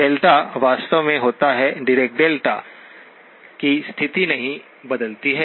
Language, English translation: Hindi, The delta actually occurs, the position of the Dirac delta does not change